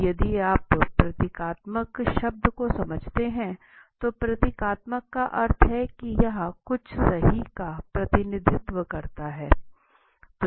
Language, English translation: Hindi, Symbolic, now if you understand the word symbolic, symbolic means to that is something is symbolic so it represents something right